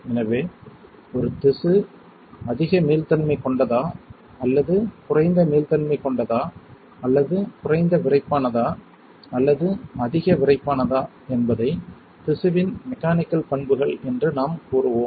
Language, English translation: Tamil, So, whether a tissue is more elastic or less elastic or less stiff or more stiff that is one parameter which we will say as mechanical properties of the tissue